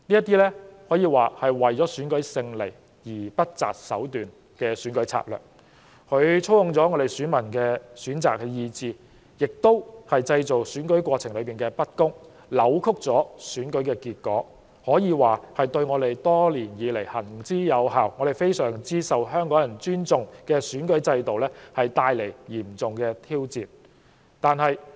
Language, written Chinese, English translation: Cantonese, 這可謂為了勝利而不擇手段的選舉策略，既操控了選民的意志，亦造成了不公平，扭曲了選舉結果，可說是對我們多年來行之有效及相當受香港人尊重的選舉制度帶來嚴重挑戰。, Some of them even met with stunning defeats . By unscrupulously employing every means to achieve victory such an election tactic which manipulates voters choice creates unfairness and distorts election results poses grave challenges to an electoral system that has been proven throughout the years and held in high esteem by the people of Hong Kong